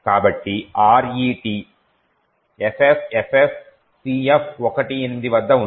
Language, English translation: Telugu, So, RET is present at FFFFCF18